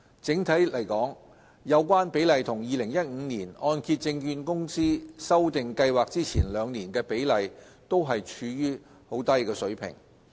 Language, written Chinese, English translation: Cantonese, 整體而言，有關比例與2015年按揭證券公司修訂計劃前兩年的比例均處於低水平。, On the whole the ratios of loans drawn down in these years as well as those for the two years immediately preceding the revisions of MIP by HKMC in 2015 are low